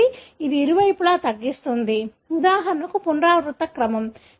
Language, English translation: Telugu, So, it cuts on either side of, for example, the repeat sequence